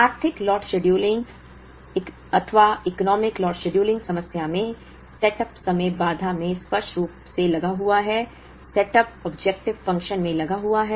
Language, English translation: Hindi, In the economic lot scheduling problem, the setup time figured explicitly in the constraint, the setup cost figured in the objective function